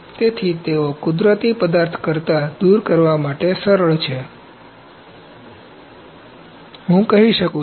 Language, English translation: Gujarati, So, they are easy to remove then the natural materials, I could say